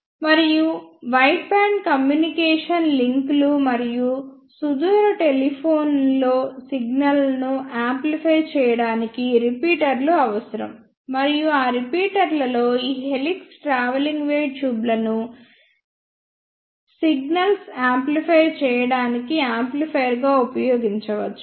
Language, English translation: Telugu, And in wideband communication links and long distance telephony, we need repeaters to amplify the signals; and in those repeaters these helix travelling wave tubes can be used as an amplifier to amplify the signals